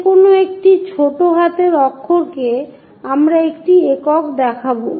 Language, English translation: Bengali, Any points a lower case letter we will show a single one